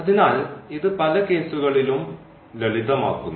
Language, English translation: Malayalam, So, this also simplifies in several cases